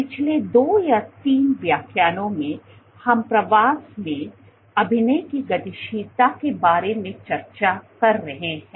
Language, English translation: Hindi, So, over the last 2 3 lectures we have been discussing about acting dynamics in migration